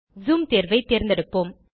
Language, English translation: Tamil, Lets select Zoom option